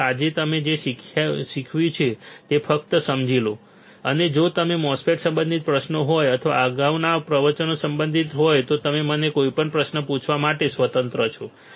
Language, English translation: Gujarati, So, just understand whatever I have taught you today, and if you have questions related to MOSFET or related to earlier lectures You are free to ask me any query all right